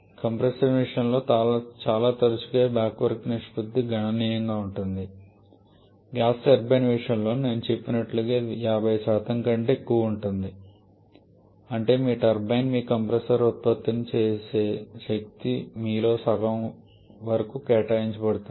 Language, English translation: Telugu, Quite often this backward ratio can be significant in case of compressors in case of gas turbines as I mentioned it can even be greater than 50% that is whatever power your turbine is producing your compressor may eat up almost half of that